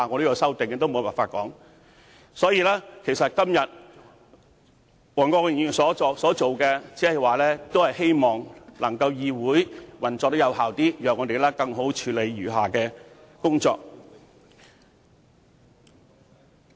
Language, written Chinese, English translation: Cantonese, 因此，黃國健議員今天所做的，無非是希望議會能夠更有效地運作，讓我們可以更好地處理餘下的工作。, Hence by moving the adjournment motion today Mr WONG Kwok - kin only hopes that the legislature can function more efficiently thereby allowing us to better handle the outstanding work